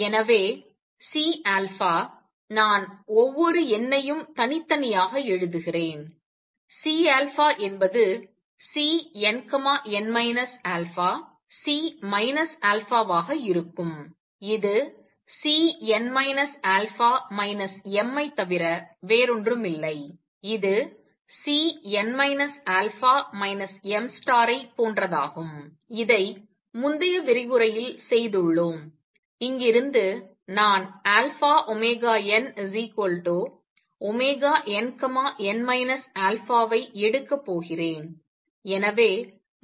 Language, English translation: Tamil, So, C alpha; let me write each number separately, C alpha would be C n, n minus alpha C minus alpha would be nothing but C n minus alpha m which is same as C star and n minus alpha, we have done this in the previous lecture and from here, I am going to take alpha omega n as omega n, n minus alpha